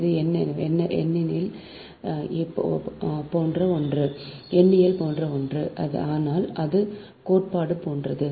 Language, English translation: Tamil, it is numerical, but it is something like theory, right